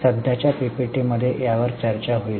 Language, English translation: Marathi, This will be discussed in the current PPP